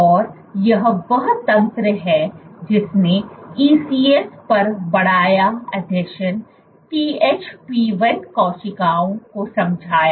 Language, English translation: Hindi, And this is the mechanism which explained the enhanced adhesion THP1 cells onto the ECs